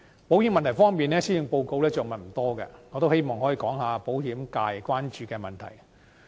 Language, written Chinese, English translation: Cantonese, 保險問題方面，施政報告着墨不多，我希望可以談及保險界關注的問題。, Regarding the insurance issue the Policy Address does not say much . Now I would like to talk about problems that are of concern to the insurance sector